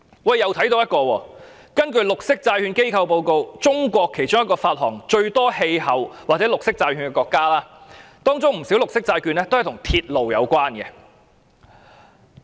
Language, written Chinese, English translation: Cantonese, 我又看到另一個例子：根據綠色債券機構報告，中國是其中一個發行最多氣候變化或綠色債券的國家，當中不少綠色債券也跟鐵路有關。, I have seen another example . According to a report on green bond issuers China is among the countries issuing the greatest number of climate bonds or green bonds many of which being related to railways . The course of building a railway will entail massive construction